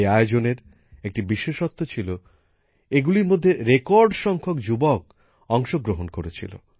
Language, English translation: Bengali, The beauty of these events has been that a record number of youth participated them